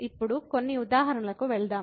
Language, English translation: Telugu, Let us go to some examples now